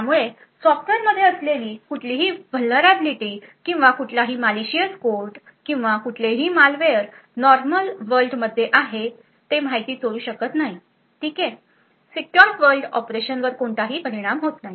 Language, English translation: Marathi, So, thus any software vulnerability or any malicious code any malware present in the normal world cannot steal information ok not affect the secure world operations